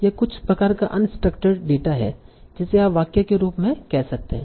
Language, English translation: Hindi, This is some sort of uninstructured data that you can say in the form of a sentence